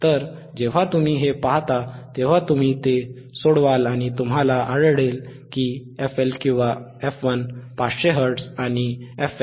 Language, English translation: Marathi, So, when you see this, you solve it and you will find that f HL or f 1 is 500 hertz, fH or f 2 is 1